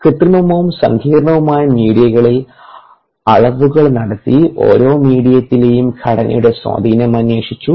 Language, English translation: Malayalam, the measurement were performed in synthetic and complex media and the influence of the composition on ah of each medium was investigated